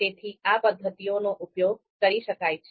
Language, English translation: Gujarati, So, these are the methods which can be used